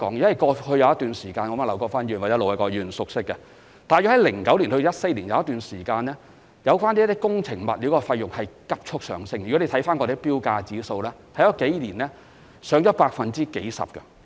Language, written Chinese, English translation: Cantonese, 在過去的某一段時間，一如劉國勳議員或盧偉國議員所知，大約在2009年至2014年間，工程物料價格曾急速上升，從政府的標價指數也可看見，該數年的指數曾攀升了數十個百分點。, During a certain period of time in the past and as Mr LAU Kwok - fan or Ir Dr LO Wai - kwok may be aware we did experience a rapid surge in prices of construction materials in around 2009 to 2014 and as evidenced from the Governments tender price index there was an increase of dozens of percentage points in the figures recorded in those few years